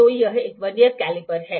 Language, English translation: Hindi, So, this is a Vernier caliper